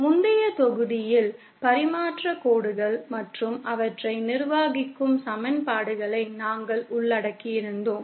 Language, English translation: Tamil, In the previous module we had covered transmission lines and the equations governing them